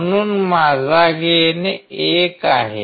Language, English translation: Marathi, So, my gain is 1